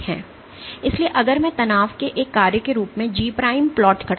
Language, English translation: Hindi, So, if I plot G prime as a function of strain